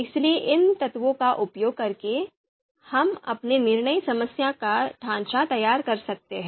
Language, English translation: Hindi, So using you know these elements, we can structure our decision problem